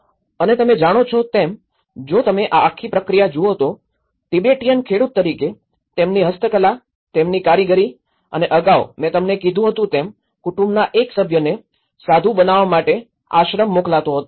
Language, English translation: Gujarati, And you know, if you look at this whole process and then you know, Tibetans as a farmers and they are also the handicrafts, their craftsmanship and earlier, as I said to you one member of the family sent to the monastery to become a monk